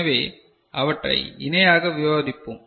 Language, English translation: Tamil, So, we shall discuss them in parallel right